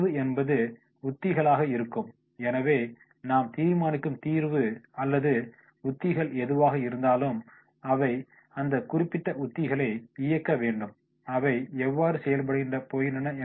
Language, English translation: Tamil, Solution will be the strategies, so whatever the solution or strategies we decide then that has to be they should drive that particular strategies, how they are going to operate